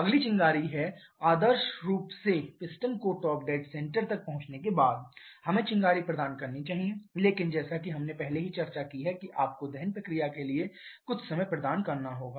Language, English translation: Hindi, Next is the spark, ideally, we should provide spark once the piston reaches the top dead centre, but as we have already discussed you have to provide some time to the combustion process